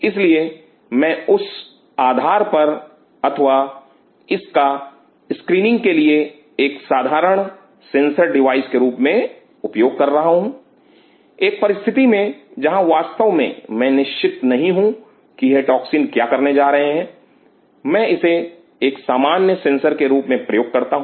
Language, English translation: Hindi, So, based on that I am using this as a simple sensor device for testing for a screening or as some condition where I am really I am not sure what this toxin is going to do I use this as a simple sensor